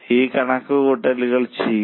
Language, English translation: Malayalam, So, do this calculation